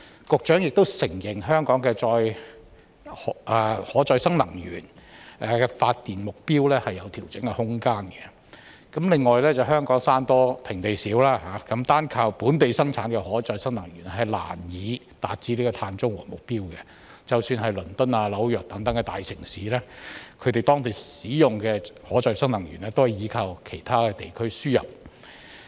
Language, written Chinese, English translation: Cantonese, 局長亦承認香港以可再生能源發電的目標有調整的空間；另外，香港山多平地少，單靠本地生產的可再生能源難以達致碳中和的目標，即使是倫敦、紐約等大城市，當地使用的可再生能源也是依靠其他地區輸入。, The Secretary has also admitted that there is room for adjusting the target of power generation by renewable energy . Besides given the mountainous terrain and shortage of flat land in Hong Kong mere reliance on locally produced renewable energy can hardly achieve the target of carbon neutrality and even for such metropolises as London and New York the renewable energy used there also rely on imports from other places